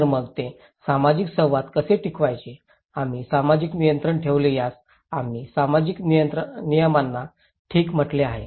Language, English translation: Marathi, Then so, how to maintain that social interactions, we put social control that we called social norms okay